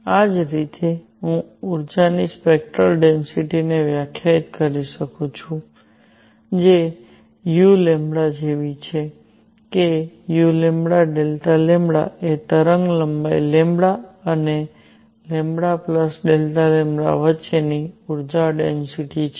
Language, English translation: Gujarati, In the similar manner I can define a spectral density of energy which is u lambda such that u lambda delta lambda is the energy density between wavelength lambda and lambda plus delta lambda